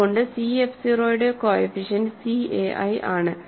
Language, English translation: Malayalam, So, coefficients of c f 0 is c a i